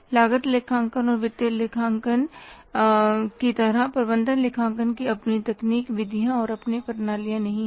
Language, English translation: Hindi, Management accounting doesn't have its own techniques methods and its own systems